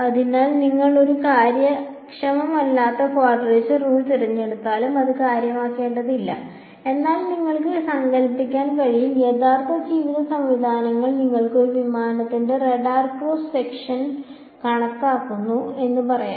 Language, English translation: Malayalam, So, it will not matter very much even if you choose a inefficient quadrature rule, but you can imagine then real life systems let us say you are calculating the radar cross section of a aircraft